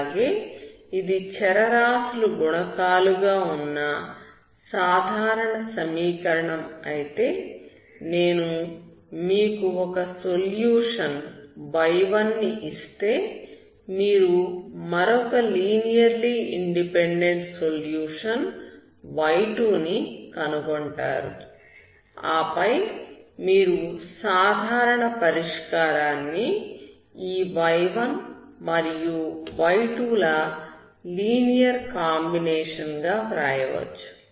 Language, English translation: Telugu, Also if it is a general equation with the variable coefficients but if I give you one solution y1, you will find the other linearly independent solution as y2 and then you can make general solution as a linear combination of this y1 and y2, okay